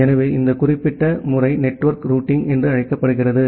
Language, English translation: Tamil, So, this particular methodology is termed as network routing